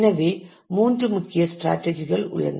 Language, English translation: Tamil, So, these are the three main strategies